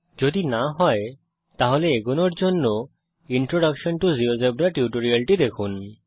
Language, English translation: Bengali, If not, please go through the Introduction to Geogebra tutorial before proceeding further